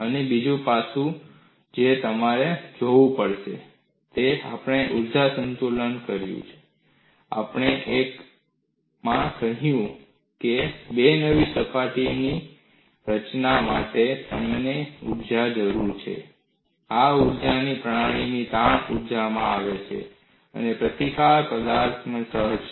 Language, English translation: Gujarati, And another aspect what you will have to look at is we have done an energy balance; we have also said, for the formation of two new surfaces, I need energy, and this energy comes from the strain energy of the system, and the resistance is inherent to the material